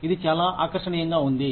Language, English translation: Telugu, It seems very appealing